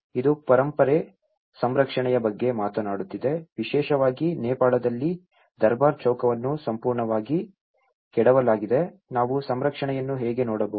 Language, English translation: Kannada, This is talking about Heritage conservation, especially in Nepal the Durbar Square which has been demolished completely, how we can look at the conservation